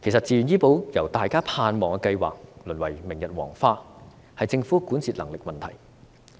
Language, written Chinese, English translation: Cantonese, 自願醫保由大家盼望的計劃淪為明日黃花，是政府管治能力的問題。, The relegation of VHIS from a promising scheme to a thing of the past represents a problem with the Governments governance ability